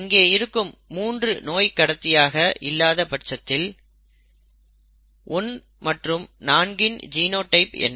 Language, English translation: Tamil, If 3 is not a carrier, if this is given, what are the genotypes of 1 and 4